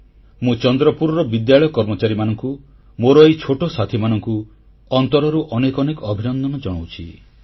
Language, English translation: Odia, I congratulate these young friends and members of the school in Chandrapur, from the core of my heart